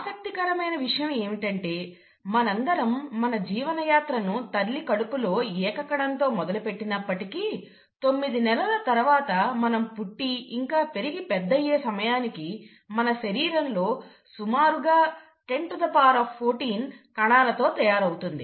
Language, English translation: Telugu, What's interesting is to note that though we all start our life’s journey as a single cell in our mother’s womb, in about nine months’ time, we are born, and then later as we grow and become an adult, our body is made up of roughly 1014 cells